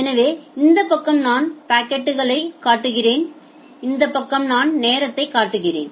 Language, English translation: Tamil, So, this side I am showing we are showing packets and this side we are showing time